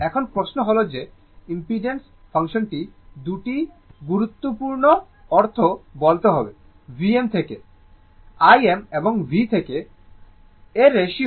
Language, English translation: Bengali, Now, question is that impedance function must tell 2 important fact; the ratio of V m to I m or V to I